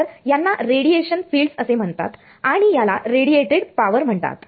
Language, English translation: Marathi, So, these are called radiation fields and this is called radiated power